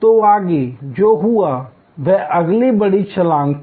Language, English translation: Hindi, So, what happened next was the next big jump